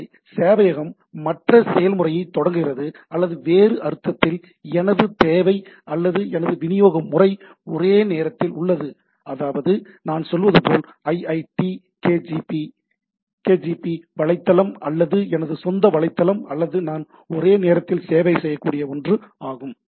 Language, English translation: Tamil, So, the server starts other process or in other sense my requirement or my way of delivery is concurrent right, like I have a say iitkgp website or my own website or something which I can serve concurrently